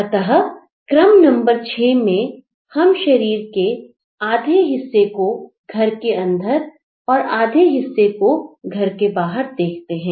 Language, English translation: Hindi, So, in the sequence 6, we see a partial body that is half inside the house